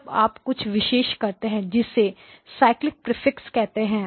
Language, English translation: Hindi, You insert something called a Cyclic Prefix